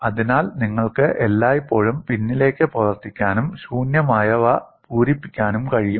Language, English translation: Malayalam, So, you can always work backwards and fill in the blanks